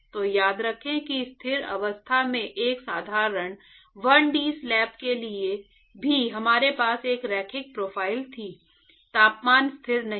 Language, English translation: Hindi, So, remember that even for a simple 1d slab in a steady state we had a linear profile the temperature is not constant